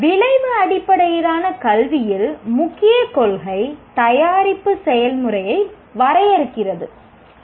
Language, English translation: Tamil, In outcome based education, the key principle is product defines the process